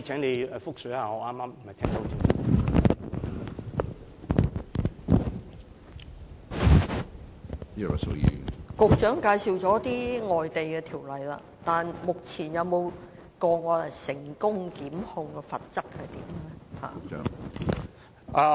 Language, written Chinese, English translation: Cantonese, 局長介紹了一些外地法例，但至今有否成功檢控的例子？, The Secretary has briefed us on some overseas legislation but is there any case of successful prosecution so far?